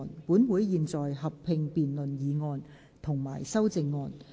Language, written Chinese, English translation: Cantonese, 本會現在合併辯論議案及修正案。, This Council will conduct a joint debate on the motion and the amendments